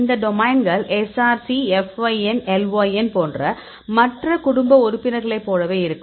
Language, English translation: Tamil, These domains are similar to the other family members like Src; yes, fyn, lyn and so on